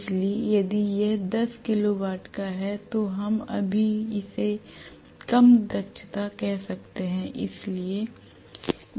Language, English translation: Hindi, So if it is tens of kilo watts we may still call it as low capacity